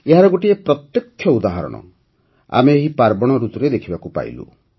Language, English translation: Odia, We have seen a direct example of this during this festive season